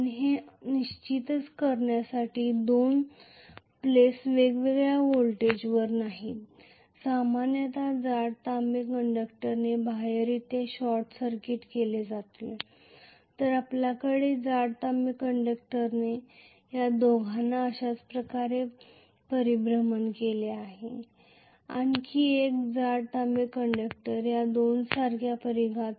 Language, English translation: Marathi, And just to make sure that the two pluses are not at different voltages normally they will be short circuited externally with thick copper conductor, so we will have thick copper conductors short circuited these two similarly, another thick copper conductor short circuiting these two like this, I am sorry I have just drawn in a very congested fashion